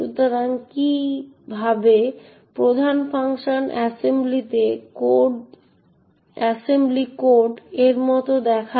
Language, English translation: Bengali, So, this is what, how the main function looks like in assembly code